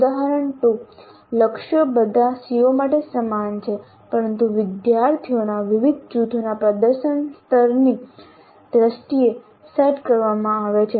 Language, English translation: Gujarati, Example 2 targets are the same for all CEOs but are set in terms of performance levels of different groups of students